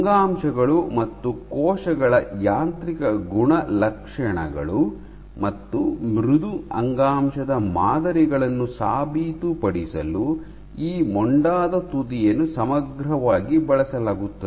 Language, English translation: Kannada, This blunt tip is used exhaustively for proving mechanical properties of tissues, cells and tissues soft samples while this sphere